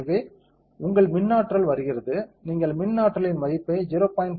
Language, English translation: Tamil, So, your electric potential comes you can give the electric potential value as 0